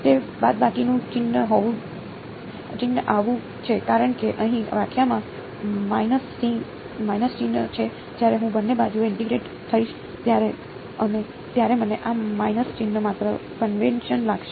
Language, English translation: Gujarati, That minus sign is come because here the definition has a minus sign over here right when I integrate on both sides, I will find this minus sign just convention